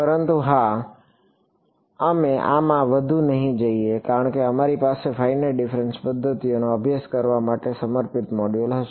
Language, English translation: Gujarati, But yeah, we will not go more into this because we will have a dedicated module for studying finite difference methods ok